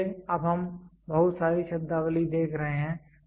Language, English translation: Hindi, So, we are now seeing lot of terminologies